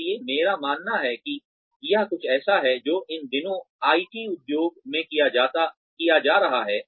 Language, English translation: Hindi, So, I believe that, this is something, that is being done in the IT industry, these days, quite a bit